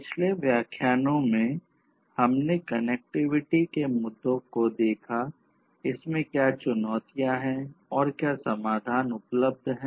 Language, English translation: Hindi, In the previous lectures, we looked at the connectivity issues; that means, with respect to communication, what are the challenges that are there, what are the solutions that are available